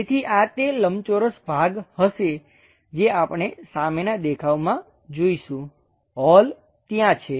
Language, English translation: Gujarati, So, this will be that rectangular portion what we see for the front view holes are there